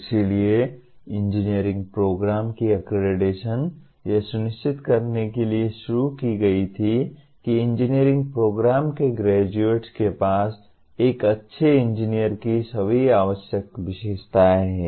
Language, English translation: Hindi, So accreditation of engineering programs was introduced to ensure that graduates of engineering programs have all the requisite characteristics of a good engineer